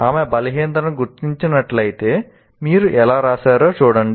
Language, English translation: Telugu, If she spots weakness, she says, look at how you have done